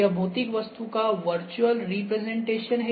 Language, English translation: Hindi, This is virtual representation of a physical object ok